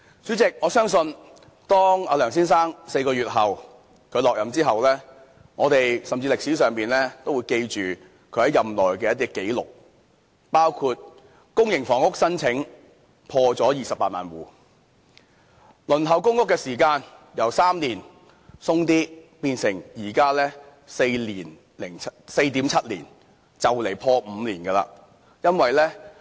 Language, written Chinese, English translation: Cantonese, 主席，我相信當梁先生在4個月後離任後，歷史都會記住他在任內的一些紀錄，包括公營房屋申請破了28萬戶；輪候公屋的時間由3年多變成現時的 4.7 年，快將破5年了。, President I believe that when Mr LEUNG leaves his office four months later history will mark some of his records during his service . These will include the record high of over 280 000 households applying for public housing the average waiting time being lengthened from over three years to the present 4.7 years and to five years very soon